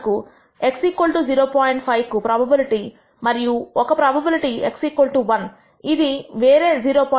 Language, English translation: Telugu, 5 and a probability for x is equal to 1 which is another 0